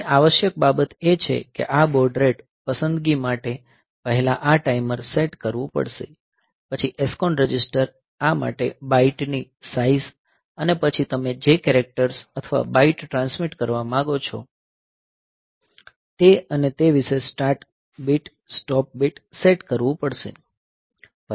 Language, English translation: Gujarati, So, essential thing first this timer has to be set for this baud rate selection, then the SCON register has to be set for this configuring the size of the byte, the characters or bytes that you want to transmit and the that about the start stop bit start bit like that